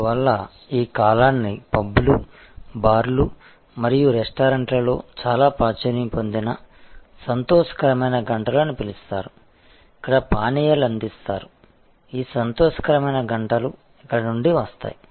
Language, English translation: Telugu, So, this is the that is why the period is called happy hours very popular at pubs bars and a restaurants, where drinks are served; that is where this being happy hours comes from